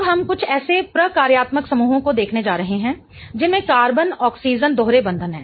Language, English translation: Hindi, Now we are going to look at some of the functional groups that have carbon oxygen double bonds